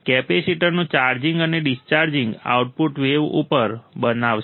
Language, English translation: Gujarati, The charging and discharging of the capacitor will form the wave at the output